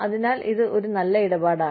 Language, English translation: Malayalam, So, it is a good deal